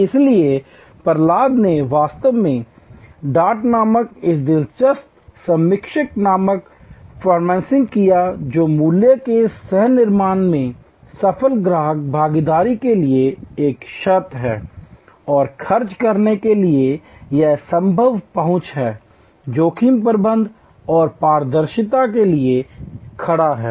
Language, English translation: Hindi, So, Prahalad that actually configured this interesting acronym called dart, which is a prerequisite for successful customer involvement in co creation of value and to expend, it stands for dialogue, access and risk management and transparency